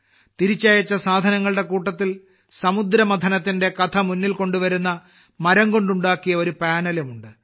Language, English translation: Malayalam, Among the items returned is a panel made of wood, which brings to the fore the story of the churning of the ocean